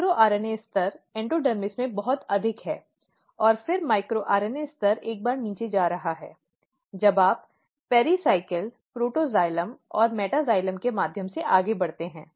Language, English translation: Hindi, So, micro RNA level is very high in endodermis and then micro RNA level is going down once you move through pericycle, protoxylem and in metaxylem